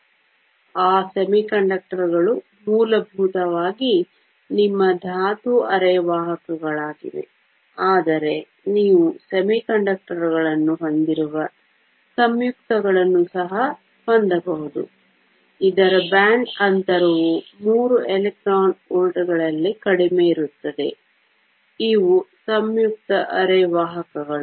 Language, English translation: Kannada, So, those semiconductors there are elements are essentially your elemental semiconductors, but you can also have compounds that have semiconductors that is, whose band gap lies less in 3 electron volts, these are compound semiconductors